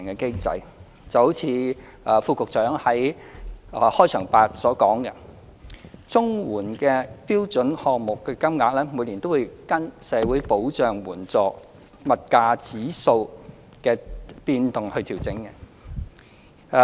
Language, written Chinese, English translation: Cantonese, 正如勞工及福利局副局長在開場發言所說，綜援的標準項目金額每年均會按社會保障援助物價指數的變動調整。, As the Under Secretary for Labour and Welfare mentioned in the opening speech the the standard rates under CSSA are adjusted annually according to the Social Security Assistance Index of Prices SSAIP